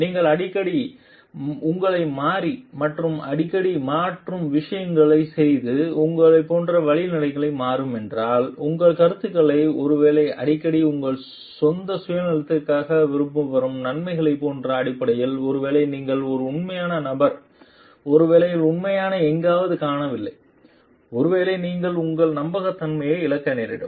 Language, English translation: Tamil, If you are changing yourself like too often and changing your like ways of doing things too often changing, your opinions maybe too often based on like benefits which comes to like for your own self interest maybe then you are not an authentic person maybe the genuinely is somewhere is missing and maybe you lose your trustworthiness